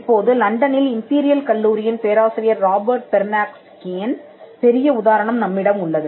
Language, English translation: Tamil, Now, we have the example of Robert Perneczky, the professor in Imperial College London